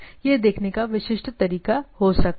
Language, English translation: Hindi, So, that they can be the typical way of looking at it